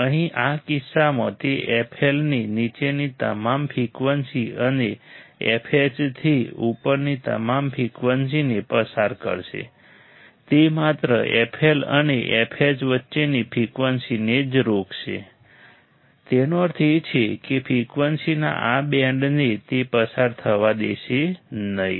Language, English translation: Gujarati, Here in this case it will pass all the frequencies below F L and all the frequencies above F H it will only stop the frequencies between F L and f H; that means, this band of frequencies it will not allow to pass right